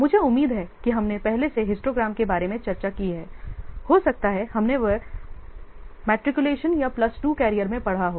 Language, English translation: Hindi, I hope histograms you have already discussed maybe in the matriculation or plus two carrier